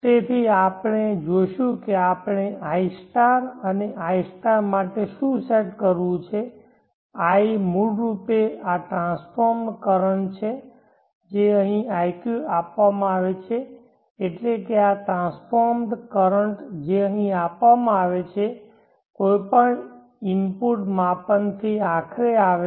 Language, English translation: Gujarati, So we will see what we have to set for id* and iq* id is basically this transformed current which is given here iq is this transformed current which is given here, coming ultimately from any input measurement